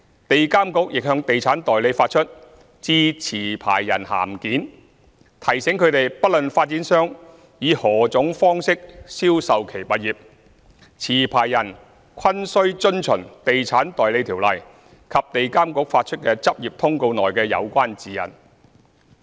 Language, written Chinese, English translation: Cantonese, 地監局亦向地產代理發出"致持牌人函件"，提醒他們不論發展商以何種方式銷售其物業，持牌人均須遵循《地產代理條例》及地監局發出的執業通告內的有關指引。, EAA has also issued a Letter to Licensees reminding all licensees to comply with the Estate Agents Ordinance and the relevant guidelines set out in the Practice Circular issued by EAA regardless of the method of sales adopted by developers for selling their properties